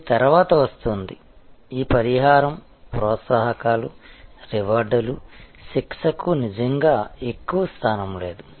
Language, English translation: Telugu, And this comes later, this compensation, incentives, rewards, punishment really does not have much of a position